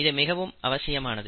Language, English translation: Tamil, It is always important